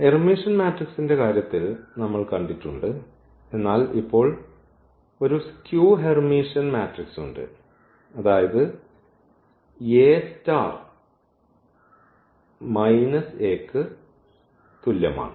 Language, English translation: Malayalam, So, for Hermitian matrices we have seen, but now there is a skew Hermitian matrix; that means, this A star is equal to minus A